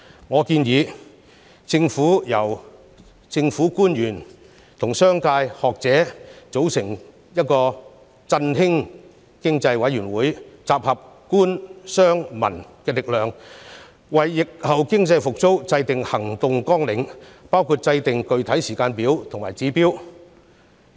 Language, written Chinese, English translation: Cantonese, 我建議政府成立由政府官員和商界、學者組成的"振興經濟委員會"，集合官、商、民的力量，為疫後經濟復蘇制訂行動綱領，包括制訂具體時間表和指標。, I suggest that the Government should set up an Economic Stimulation Committee composed of government officials the business sector and scholars thereby pooling the strength of the Government the business sector and the public at large to formulate an action plan for revitalizing the economy in the post - epidemic period which includes setting specific timetables and indicators